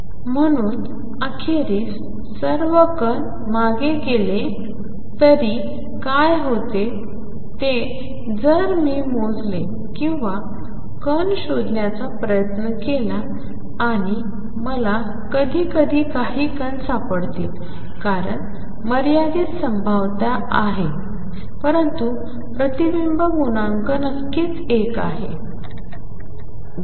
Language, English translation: Marathi, So, although eventually all particles go back what happens is if I measure or try to locate a particle in this and I will find some particles sometimes because there is a finite probability, but the reflection coefficient is certainly one